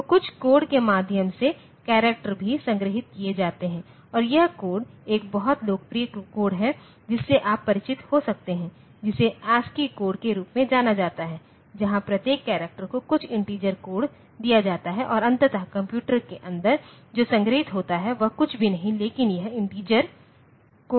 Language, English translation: Hindi, So, characters are also stored by means of some code and this code is there is a very popular code that you may be familiar with which is known as ASCII code where each character is given some integer code and ultimately inside the computer what is stored is nothing, but this integer code